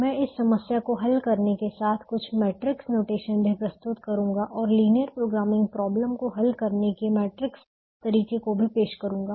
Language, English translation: Hindi, i will also introduce some matrix notation more in tune with solving this problem and also to introduce the matrix way of solving linear programming problems